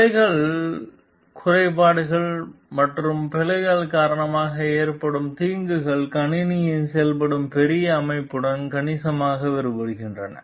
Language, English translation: Tamil, The harms caused by the bugs glitches and errors vary considerably with the larger system in which the system functions